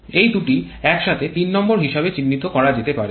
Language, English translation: Bengali, These 2 together can be identified as a number 3